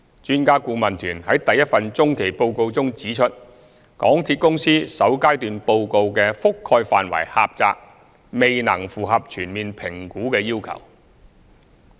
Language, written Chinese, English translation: Cantonese, 專家顧問團於第一份中期報告中指出，港鐵公司首階段報告的覆蓋範圍狹窄，未能符合全面評估的要求。, In its Interim Report No . 1 the Expert Adviser Team noted that the initial report of MTRCL had a limited scope which fell short of the requirement of a holistic assessment